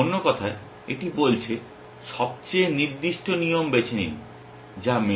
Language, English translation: Bengali, In other words, it is saying choose the most specific rule which matches